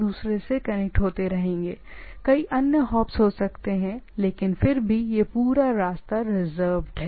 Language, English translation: Hindi, There can be multiple other, many other hops based on the things, but nevertheless the whole path is reserved